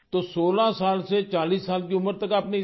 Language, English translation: Hindi, So from the age of 16 to 40, you did not get treatment for this